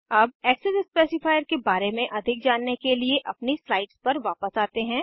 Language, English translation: Hindi, Now let us move back to our slides to know more about the access specifiers